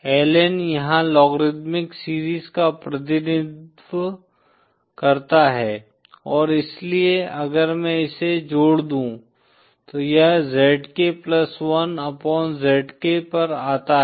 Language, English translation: Hindi, Ln here represents the logarithmic series & so if I just add this up it comes out to ln zk plus 1 upon zk